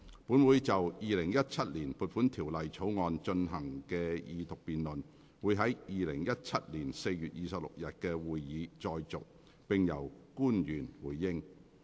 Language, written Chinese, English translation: Cantonese, 本會就《2017年撥款條例草案》進行的二讀辯論會在2017年4月26日的會議再續，並由官員回應。, This Council will continue with the Second Reading debate on the Appropriation Bill 2017 at the meeting of 26 April 2017 during which public officers will respond